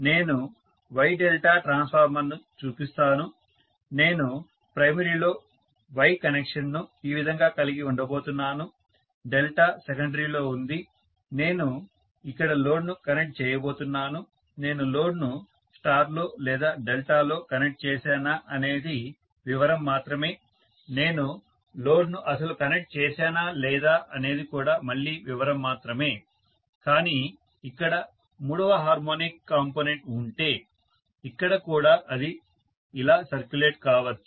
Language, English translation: Telugu, Let me just show the wye delta transformer, I am going to have the Y connection like this on the primary, delta is in the secondary, I am going to connect the load here, whether I connect the load in star or delta is a matter of detail, whether I connect the load at all not is a matter of detail, again, but, if there is third harmonic component here, here also it can circulate like this